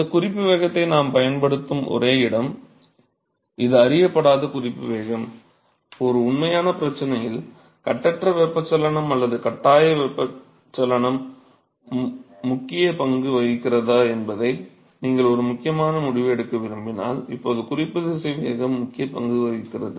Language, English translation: Tamil, So, the only place where we will be using this reference velocity, as it is an unknown reference velocity; now the only place where the reference velocity plays an important role is when you want to make an important decision whether the free convection or a force convection is playing a dominant role in a real problems